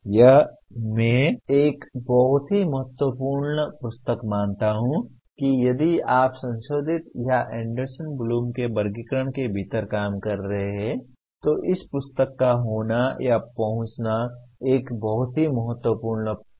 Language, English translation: Hindi, This I consider a very important book that if you are working within the modified or Anderson Bloom’s taxonomy, this is a very very important book to have or access to this book